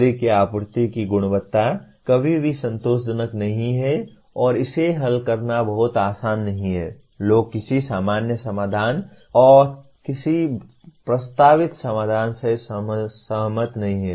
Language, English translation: Hindi, The quality of the power supply is never satisfactory and to solve that things are not very easy and people do not agree with a common solution/with any proposed solution